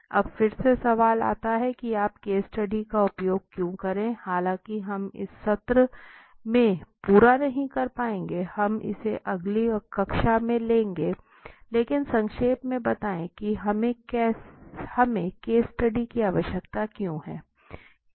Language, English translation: Hindi, Now again the question comes, why should you use a case study although we will not be able to complete in this session may be we will take it to the next class, but let me briefly why do we need a case study